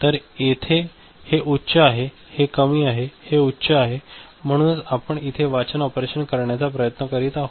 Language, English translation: Marathi, So, here this is high means we are trying to so, this is low, this is high; so this is we are trying to do a read operation